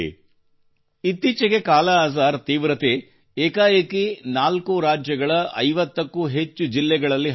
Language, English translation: Kannada, Till recently, the scourge of Kalaazar had spread in more than 50 districts across 4 states